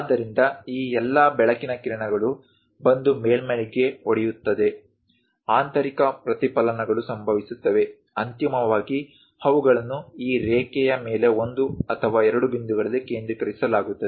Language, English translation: Kannada, So, all these light rays come hit the surface; internal reflections happens; finally, they will be focused at one or two points on this line